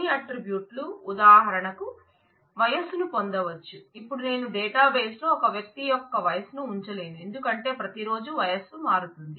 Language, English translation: Telugu, Certain attributes can be derived for example age, now I cannot keep the age of some a person in the database because, with every day the age changes